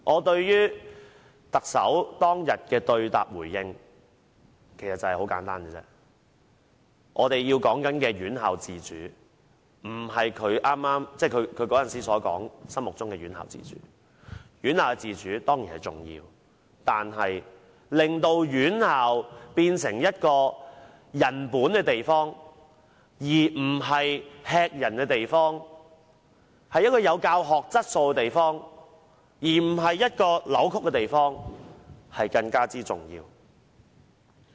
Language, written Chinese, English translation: Cantonese, 對於特首當天的對答回應，我認為我們說的院校自主不是她當時說的院校自主，院校自主當然重要，但令院校變成人本而不是駭人的地方，有教學質素而不是扭曲的地方更為重要。, Regarding the Chief Executives exchanges with a Member on that day I think the institutional autonomy that we talk about is not the institutional autonomy she said at that time . It is certainly important for tertiary institutions to have autonomy but it is even more important that tertiary institutions are developed into a people - oriented and not an appalling place and also a place with education quality and not a place of distortion